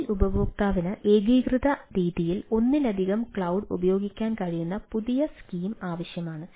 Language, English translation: Malayalam, new scheme is needed in which the mobile user can utilize multiple cloud in a unified fashion